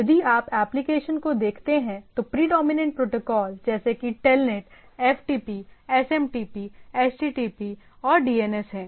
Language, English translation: Hindi, So, if you look at the applications there the predominant things are like Telnet, FTP, SMTP, HTTP and DNS and so and so forth